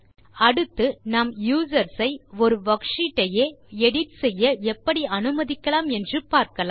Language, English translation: Tamil, Next, we shall look at how to enable users to edit the actual worksheet itself